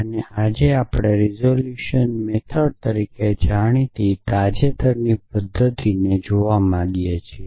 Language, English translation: Gujarati, And today we want to look at recent method known as the resolution method